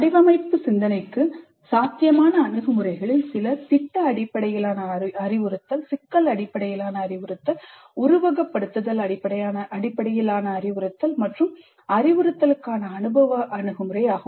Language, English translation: Tamil, Some of the possible approaches for design thinking would be project based instruction, problem based instruction, simulation based instruction, experiential approach to instruction